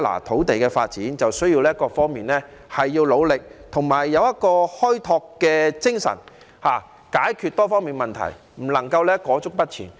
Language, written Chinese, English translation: Cantonese, 土地的發展需要各方面的努力，而且要有開拓精神，解決多方面的問題，不能裹足不前。, While land development requires the concerted efforts of various parties the multi - faceted problems must be resolved with pioneering spirit and we cannot hesitate to move forward